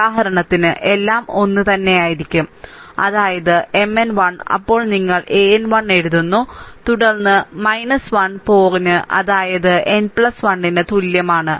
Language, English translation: Malayalam, For example, ah everything will remain same, that is your say M n 1, right then you are writing a n 1, then minus 1 to the power say n plus 1